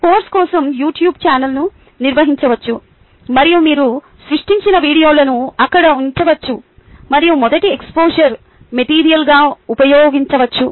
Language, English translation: Telugu, nicely, youtube channel for the course can be maintained and the videos that you create can be put in there and used as first exposure material